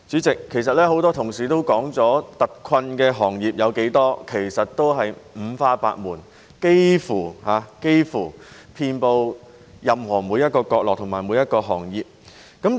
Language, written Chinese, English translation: Cantonese, 代理主席，很多同事指出特困行業是五花八門，幾乎遍布每個角落及每個行業。, Deputy President as pointed out by many of my colleagues hard - hit industries are diverse representing almost every industry that is found in almost every corner